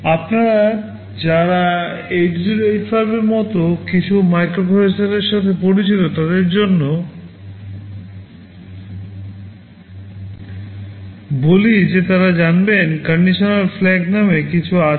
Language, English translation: Bengali, For those of you who are familiar with the some microprocessors like 8085, you will know that there are something called condition flags